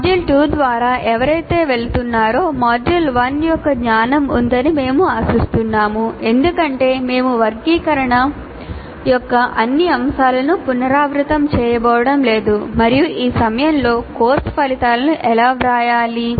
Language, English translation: Telugu, So we expect whoever is going through the module 2, they have the knowledge of module 1 because we are not going to repeat all that, all those elements are the taxonomy and how to write and all that at this point of time